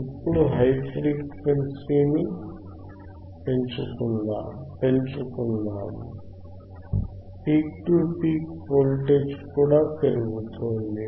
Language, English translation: Telugu, Now, let us increase the frequency, increase in the frequency you can also see that the peak to peak voltage is also increasing